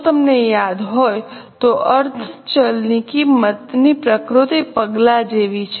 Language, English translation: Gujarati, If you remember, semi variable cost are step in nature